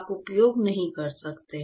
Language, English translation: Hindi, You cannot use